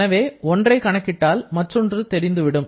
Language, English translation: Tamil, So, if we calculate one, the other is also known